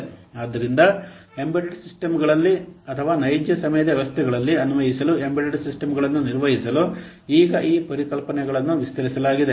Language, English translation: Kannada, So now these concepts have been extended to handle embedded systems to apply on embedded systems or real time systems